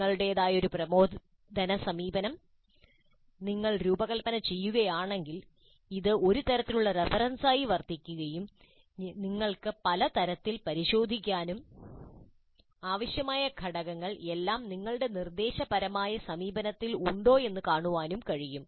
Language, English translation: Malayalam, In case you design your own instructional approach, this can serve as a kind of a reference against which you can cross check and see whether the required components are all present in your instructional approach